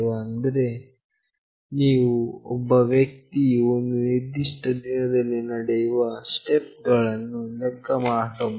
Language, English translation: Kannada, Like you can track the number of steps a person is walking in a day